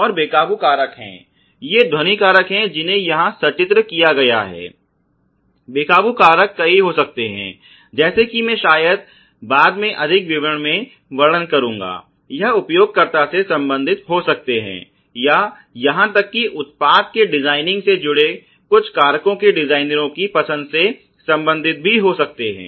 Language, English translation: Hindi, And uncontrollable factors are these noise factors has been illustrated uncontrollable factors can be many as I will probably illustrate in more details later on, it can be related to the user or can be related to even the designers choice of certain factors associated in the designing of the products